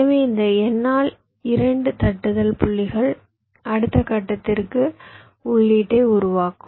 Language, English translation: Tamil, so these n by two tapping points will form the input to the next step